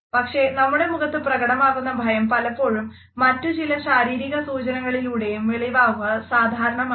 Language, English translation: Malayalam, However, the sense of fear which is reflected in our face is often associated with certain other physical symptoms